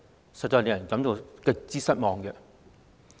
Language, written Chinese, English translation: Cantonese, 這實在令人感到極度失望。, This is indeed extremely disappointing